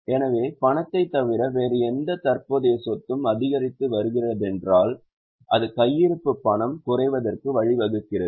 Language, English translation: Tamil, So, other than cash, if any other current asset is increasing, it leads to decrease in cash